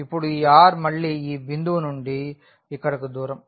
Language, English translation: Telugu, And now this r, r is again the distance here from this point to this